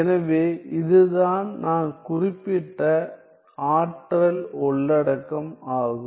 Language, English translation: Tamil, So, that is what I mean by this energy content